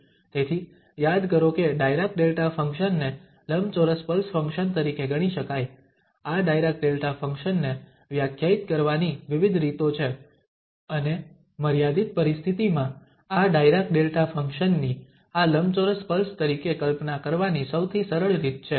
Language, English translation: Gujarati, So, recall that the Dirac Delta function can be thought as, there are various ways to define this Dirac Delta function and the simplest way of imagining this, this Dirac Delta function as this rectangular pulse in the limiting situation